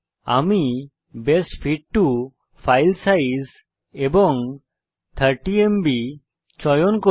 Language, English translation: Bengali, Im going to choose Best fit for file size and 30MB